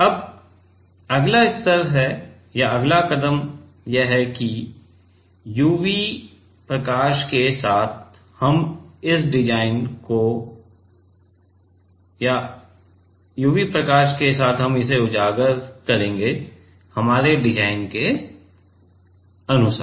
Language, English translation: Hindi, Now, next level is, a next step is that expose with UV light, according to our design ok; according to our design